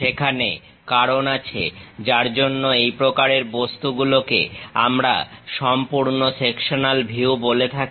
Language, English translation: Bengali, There is a reason we call such kind of objects as full sectional views